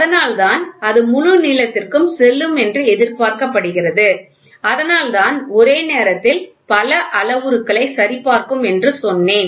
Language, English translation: Tamil, So, that is why it is asked it is expected to GO to the fullest length, right that is why we said simultaneously it will check for multiple parameters